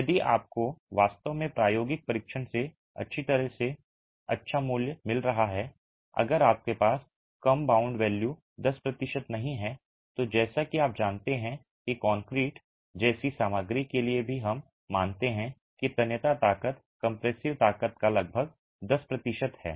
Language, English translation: Hindi, If you have actually got values coming out of your experimental test well and good if you don't a low bound value is 10% which as you are aware even for a material like concrete we assume that the tensile strength is about 10% of the compressive strength